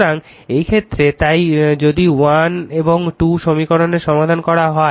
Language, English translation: Bengali, So, in this case so, if you solve for equation 1 and 2